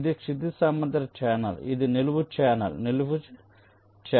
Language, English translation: Telugu, this is a vertical channel, vertical channel